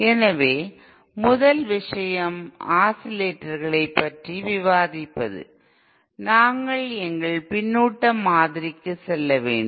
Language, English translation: Tamil, So the first thing is to discuss about oscillators, we need to go back to our feedback model